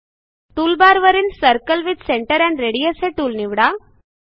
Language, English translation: Marathi, Select Circle with Center and Radius tool from toolbar